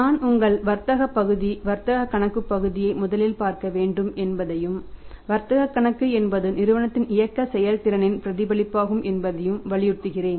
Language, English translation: Tamil, And then I emphasize the upon that we must look at the first your trading part trading account part and trading account is the reflection of the operating performance of the firm